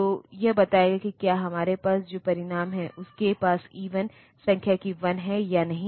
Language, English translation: Hindi, So, telling that whether the result that we have is having an even number of ones or not